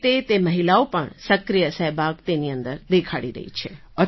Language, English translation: Gujarati, Accordingly, those women are also displaying active participation in it